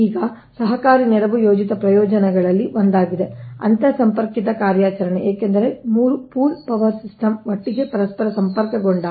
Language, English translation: Kannada, now, cooperative assistance is one of the planned benefits of interconnected operation, because when three pool power systems are interconnected together